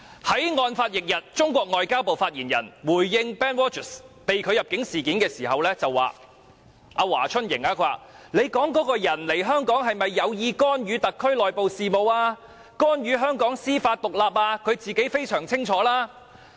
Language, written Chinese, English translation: Cantonese, 在案發翌日，中國外交部發言人華春瑩回應 BenedictROGERS 被拒入境事件時對記者說："你說的這個人赴港是否有意干預特區內部事務、干預香港司法獨立，他自己非常清楚。, On the day following the incident HUA Chunying a spokesperson for the Ministry of Foreign Affairs of China MFA responded to a reporters inquiry about the refusal of entry of Benedict ROGERS and said As to whether the person you mentioned arrived in Hong Kong with the intention to interfere in the internal affairs and judicial independence of HKSAR he knows that well enough himself